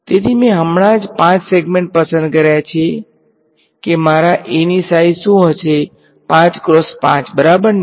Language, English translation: Gujarati, So, I just chose 5 segments what is system of what will be the size of my a 5 cross 5 right